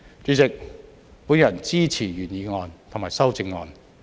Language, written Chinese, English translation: Cantonese, 主席，我支持原議案及修正案。, President I support the original motion and the amendment